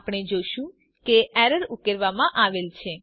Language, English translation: Gujarati, We see that the error is resolved